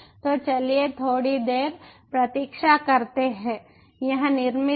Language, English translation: Hindi, so lets wait for a while, ok, ok, it is created